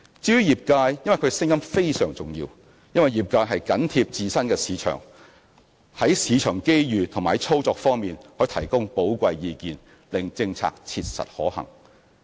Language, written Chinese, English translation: Cantonese, 至於業界，他們的聲音非常重要，因為業界緊貼自身市場，在市場機遇和操作方面可給予寶貴意見，令政策切實可行。, As for members of the sector their views are very important because they have sound knowledge of the latest market trends and will be able to offer valuable views in such areas as market opportunities and operations thus ensuring the practicability of policies formulated